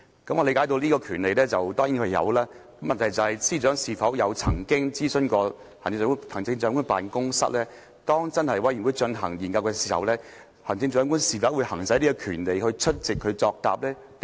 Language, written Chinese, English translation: Cantonese, "我理解他當然有這個權利，但問題是，司長曾否諮詢行政長官辦公室，當專責委員會進行研究時，行政長官會否行使這權利出席會議作答呢？, I certainly understand that the Chief Executive has this right . But has the Chief Secretary for Administration consulted the Chief Executives Office on whether the Chief Executive will exercise this right during the inquiry of the select committee and attend its hearings to answer questions?